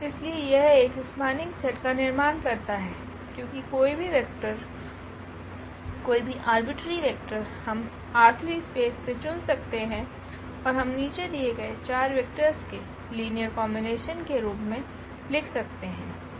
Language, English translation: Hindi, So, this forms a spanning set because any vector any arbitrary vector we can pick from this R 3 space and we can write down as a linear combination of these given 4 vectors